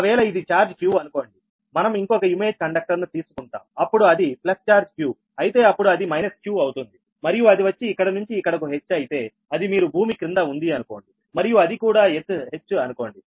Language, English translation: Telugu, just suppose this is, this is a charge q, say, we will take another image conductor whose, if it is a plus charge q, then it will be minus q and if it is from here to here, it is h